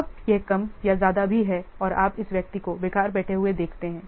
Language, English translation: Hindi, Now this it is more or less even and you see this person sitting idle, it is very less